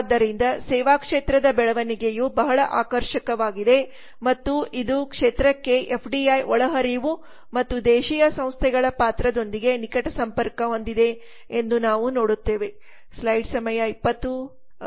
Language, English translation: Kannada, 9 percent so we see that the growth of the services sector is pretty attractive and it is closely link to the FDI inflows into the sector and the role of transnational firms